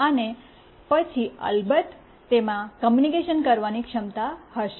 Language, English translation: Gujarati, And then of course, it will have communication capability